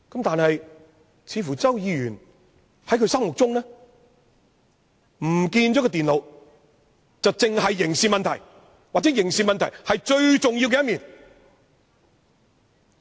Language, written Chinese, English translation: Cantonese, 但是，似乎在周議員心目中，電腦遺失只屬刑事問題，又或其刑事問題是最重要的一面。, However it occurs to me that Mr CHOW regards the loss of the computers concerned a merely criminal problem or the criminal issues of which the most important factor